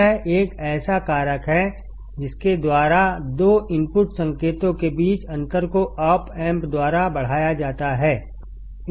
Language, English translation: Hindi, It is a factor by which the difference between two input signals is amplified by the op amp